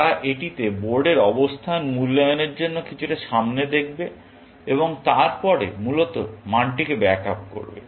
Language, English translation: Bengali, They would look ahead a little bit for evaluating the board position at this, and then, back up the value essentially